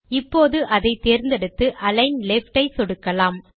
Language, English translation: Tamil, So, lets select the word and click on Align Left